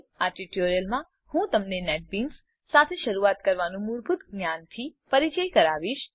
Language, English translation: Gujarati, In this tutorial I will introduce you to the basics of getting started with Netbeans